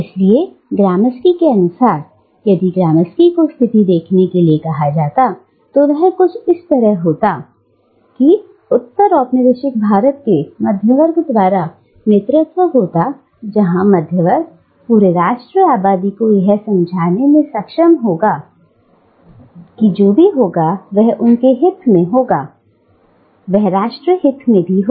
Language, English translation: Hindi, So, according to Gramsci, if Gramsci were to read the situation, it would be something like this, that postcolonial India has been characterised by the hegemony of the middle class, where the middle class has been able to convince the entire national population that whatever serves their interest, is also in the interest of the nation